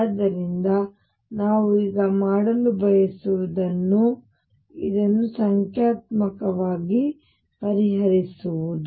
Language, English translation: Kannada, So, what we want to do now is solve this numerically